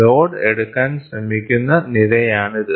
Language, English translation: Malayalam, So, this is the column which tries to take the load